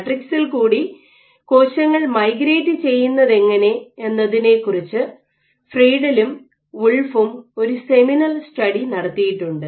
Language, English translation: Malayalam, So, there has been seminal study by Friedl and Wolf and then they showed that when a cell migrate through matrices